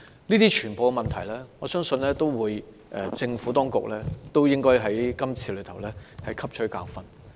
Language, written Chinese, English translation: Cantonese, 對於所有這些問題，我相信政府當局應該在今次事件中汲取教訓。, With regard to all these issues I believe the Administration should learn a lesson from this incident